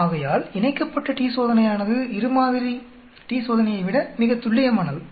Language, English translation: Tamil, So the paired t Test is more accurate than two sample t Test